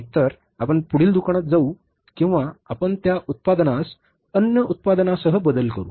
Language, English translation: Marathi, Either we go to the next shop or we replace that product with the other product